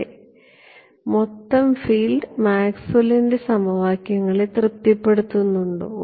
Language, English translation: Malayalam, Yes does the total field satisfy Maxwell’s equations